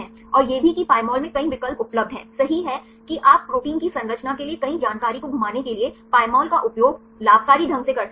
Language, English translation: Hindi, And also there are several options available in Pymol, right I can you can be fruitfully utilize the Pymol for rotating several information for a protein structure